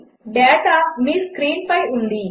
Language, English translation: Telugu, The data is on your screen